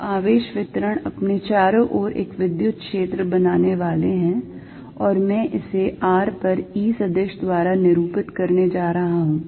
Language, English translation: Hindi, So, charge distributions creating an electric field around itself and I am going to denote it by E vector at r